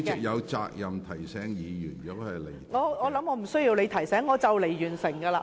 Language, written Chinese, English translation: Cantonese, 我相信我不用你提醒，我即將完成發言。, I believe I do not need your reminder . I am about to conclude my speech